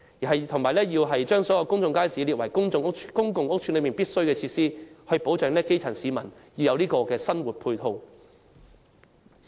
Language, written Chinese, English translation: Cantonese, 此外，政府應把公眾街市列為公共屋邨的必需設施，為基層市民提供生活配套。, Furthermore public markets should be classified as necessary facilities to provide support for the daily living of the grass roots